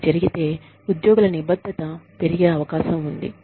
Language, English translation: Telugu, If, that is done, the commitment of the employees, is likely to go up